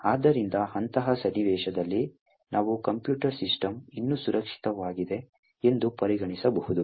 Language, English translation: Kannada, Therefore, in such a scenario also we can consider that the computer system is still secure